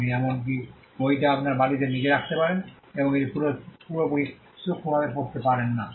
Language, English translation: Bengali, You can even keep the book under your pillow and not read it at all perfectly fine